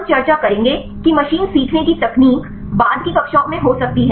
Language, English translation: Hindi, We will discuss the machine learning techniques may be in the later classes